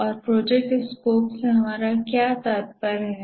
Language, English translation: Hindi, And what do we mean by project scope